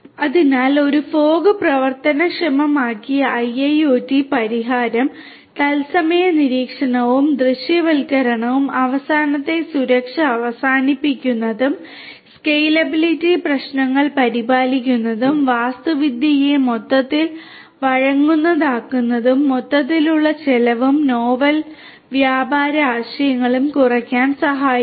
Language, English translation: Malayalam, So, a fog enabled IIoT solution can help in, number one real time monitoring and visualization, offering end to end security, scalable taking care of scalability issues and making the architecture flexible overall, reducing the overall cost and novel trading ideas